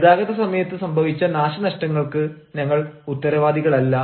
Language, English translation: Malayalam, we are not responsible for the damages occurred during transportation